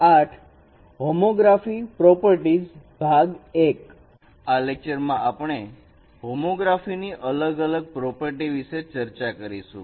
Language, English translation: Gujarati, In this lecture, we will talk about different properties of homography